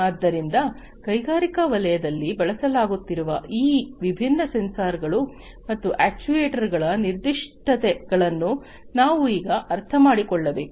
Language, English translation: Kannada, So, we need to now understand the specificities of these different sensors and actuators being used in the industrial sector